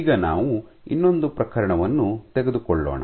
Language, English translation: Kannada, Now, let us take another case